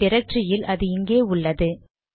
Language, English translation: Tamil, In my directory it is located at this place